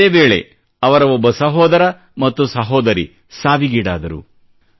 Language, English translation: Kannada, Meanwhile, one of his brothers and a sister also died